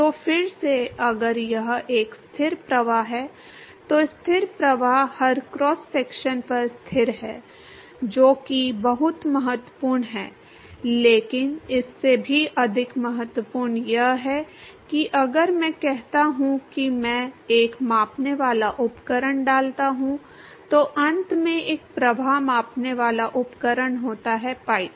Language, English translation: Hindi, So, again if it is a steady flow, the steady flow is constant at every cross section that is very important, but more important than that much more important is that if I say I put a measuring devise a flow measuring devise at the end of the pipe